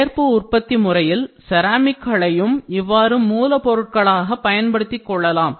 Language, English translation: Tamil, So, ceramics can also be used as additive manufacturing materials